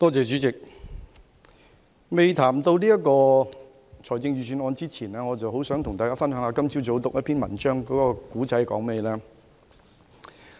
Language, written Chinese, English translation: Cantonese, 主席，在談及這份財政預算案之前，我很想跟大家分享一下我今早閱讀的文章內容。, President before going into this Budget I would like to share with Members an article that I read this morning